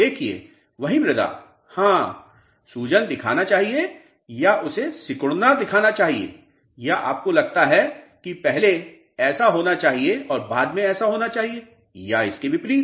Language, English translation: Hindi, See, the same soil, yes, whether it should show swelling or whether it should show shrinking or do you think that there should be something like first this happens and then this happens or vice versa